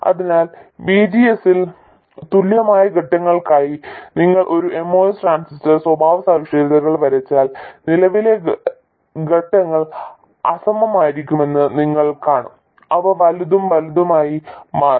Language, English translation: Malayalam, So if you draw a MOS transistor characteristics for equal steps in VGS you will see that the current steps will be unequal